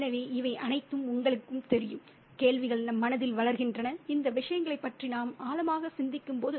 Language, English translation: Tamil, So all these, you know, questions crop up in our minds when we think about these things deeply, right